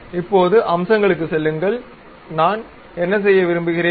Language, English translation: Tamil, Now, go to Features; what I want to do